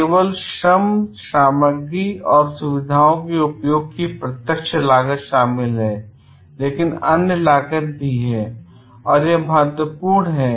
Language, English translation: Hindi, Only direct cost of labor, materials and use of facilities are included, but there are other cost also and that is very important